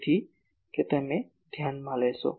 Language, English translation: Gujarati, So, that you take into account